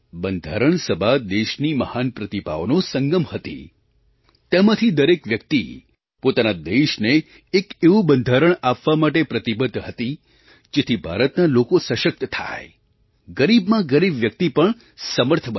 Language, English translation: Gujarati, The Constituent Assembly was an amalgamation of the great talents of the country, each one of them was committed to provide a Constitution to the country which empowers the people of India and enriches even the poorest of the poor